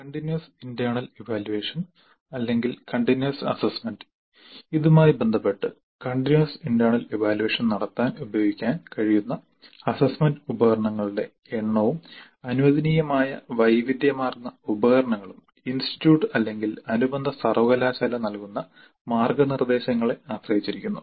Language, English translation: Malayalam, The continuous internal evaluation or internal assessment, with respect to this, the number of assessment instruments that can be used in continuous internal assessment and the variety of assessment instruments allowed depend on the guidelines provided by the institute or affiliating university